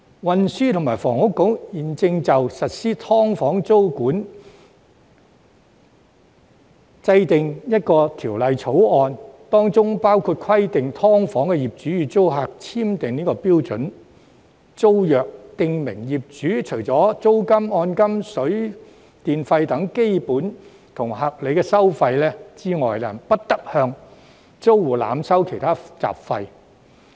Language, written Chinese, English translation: Cantonese, 運輸及房屋局現正就實施"劏房"租務管制訂定相關法案，當中包括規定"劏房"業主與租客簽訂標準租約，訂明業主除租金、按金、水電費等基本和合理收費之外，不得向租戶濫收其他雜費。, The Transport and Housing Bureau is currently drawing up a bill for the introduction of tenancy control on subdivided units under which landlords of such units will be required to inter alia enter into a standard tenancy agreement with their tenants . According to the terms and conditions of the agreement tenants should not be charged indiscriminately by landlords for miscellaneous fees other than those basic and reasonable costs like rents rental deposits and the cost of utilities